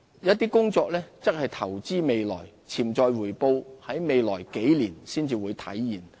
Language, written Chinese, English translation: Cantonese, 一些工作則是投資未來，潛在回報在未來數年才可體現。, Some other expenditure items are investments and the potential return may only be realized in future